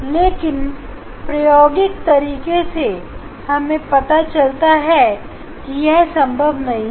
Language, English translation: Hindi, But experimentally it is found that no it is not possible